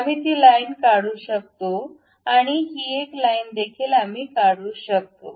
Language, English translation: Marathi, We can remove that line and also this one also we can remove